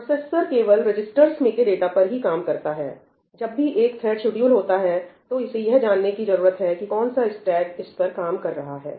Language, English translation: Hindi, The processor only works on the data that is residing in the registers; whenever a thread gets scheduled in, it needs to know which stack it is working on